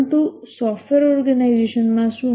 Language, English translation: Gujarati, But what about in a software organization